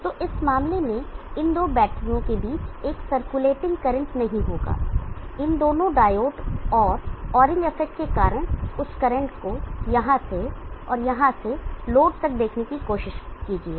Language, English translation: Hindi, So in this case there will not be a circulating current between these two batteries, because of these two diodes and the oring effect will try to see that current from here and here through the load